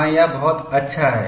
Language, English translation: Hindi, Yes, that is good